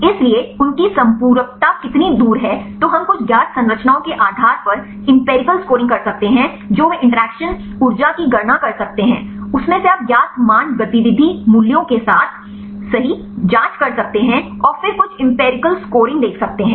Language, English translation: Hindi, So, how far their complementarity then we can do some empirical scoring depending upon the known structures they can calculate the interaction energies; from that you can check with the known values activity values right and then see some empirical scoring right